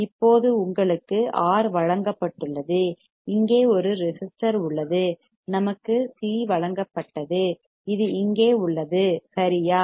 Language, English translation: Tamil, Now you are given R there is a resistor here, we were given c which is here right